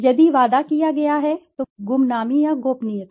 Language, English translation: Hindi, If promised guarantee, anonymity or confidentiality